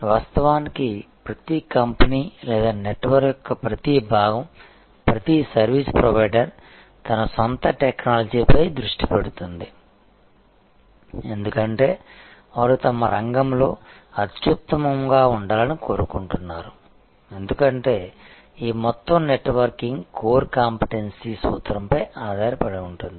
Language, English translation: Telugu, And of course, as each company or each part of the network each service provider focuses on his own technology; because they are want to be the best in their field, because this entire networking is based on core competency principle